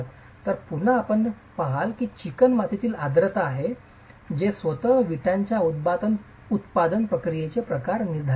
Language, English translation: Marathi, So, again you see that it's the moisture content in the clay that determines the kind of manufacturing process itself of the brick